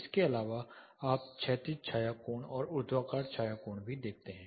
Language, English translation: Hindi, Apart from this you also see the horizontal shadow angle and vertical shadow angle